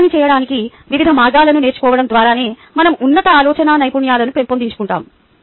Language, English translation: Telugu, it is by learning different ways of doing the same thing that we develop higher thinking skills